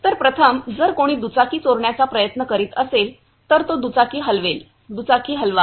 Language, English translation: Marathi, So, first of all if someone tries to steal the bike, then he will move the bike; move the bike